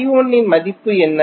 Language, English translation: Tamil, What is the value of I 1